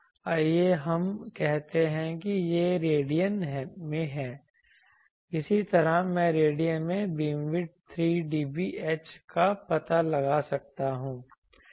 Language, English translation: Hindi, Let us say it is in radian similarly I can find out beam width 3 dB H in radian